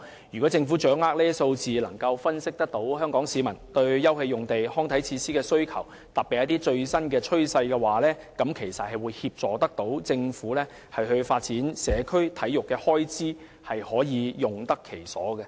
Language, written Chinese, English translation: Cantonese, 如果政府掌握有關數字，能夠分析香港市民對休憩用地及康體設施的需求，特別是最新趨勢，便可以協助政府發展社會體育，開支也可以用得其所。, If the Government can grasp the relevant statistics it can then analyse Hong Kong peoples demand for open space and recreational facilities especially the new trend . This can in turn assist the Government in developing sports in communities and spending its money more effectively